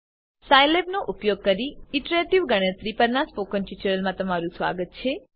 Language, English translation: Gujarati, Welcome to the spoken tutorial on iterative calculations using Scilab